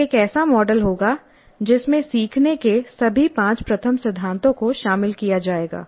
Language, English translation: Hindi, It will be a model which incorporates all the five first principles of learning